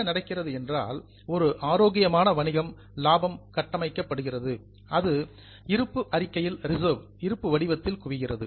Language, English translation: Tamil, So, what happens is for a healthy business, profit goes on building up and that accumulates in the balance sheet in the form of reserve